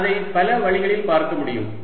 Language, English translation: Tamil, i can look at it in many different ways